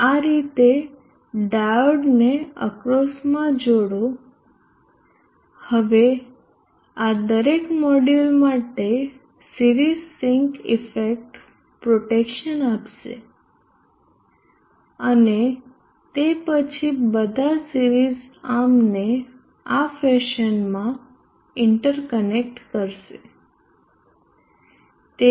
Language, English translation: Gujarati, Connect the diodes like this across, now this will give the series sync effect protection for every module and then interconnect all the series arms in this fashion